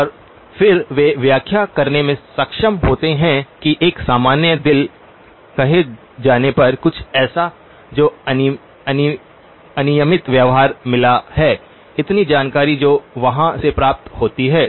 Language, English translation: Hindi, And then they are able to interpret that into saying a normal heart, something that has got irregular behavior, so lot of information that is obtained from there